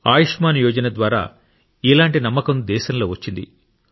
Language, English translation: Telugu, A similar confidence has come to the country through the 'Ayushman Yojana'